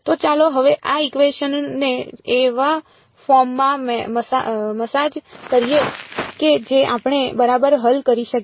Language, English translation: Gujarati, So, let us now sort of massage this equation into a form that we can solve ok